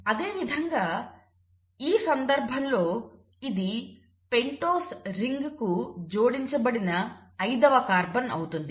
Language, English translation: Telugu, Similarly in this case this will be the fifth carbon attached to the pentose ring